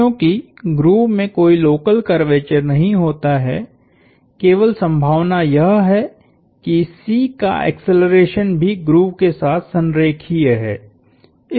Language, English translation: Hindi, Because the grove itself has no local curvature, the only possibility is that the acceleration of C is also collinear with the grove